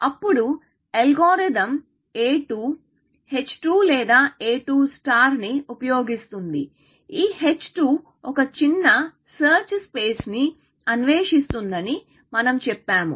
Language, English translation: Telugu, Then, we said that algorithm a 2, which uses h 2 or a 2 star, which uses h 2, will explore a smaller search space